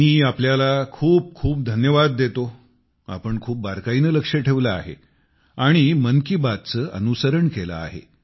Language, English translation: Marathi, I express my gratitude to you for following Mann ki Baat so minutely; for staying connected as well